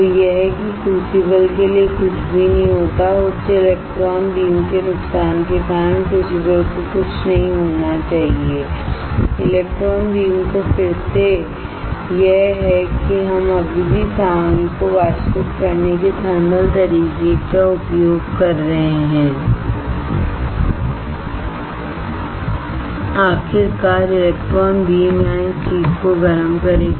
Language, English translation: Hindi, So, that nothing happens to the crucible, crucible should not get disturbed because of the high electron beam damages and (Refer Time: 36:52) to electron beam again this is we are still using the thermal way of evaporating the material because finally, electron beam will heat this thing here